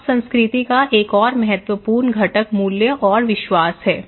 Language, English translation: Hindi, Now, another important component of culture is the values and beliefs okay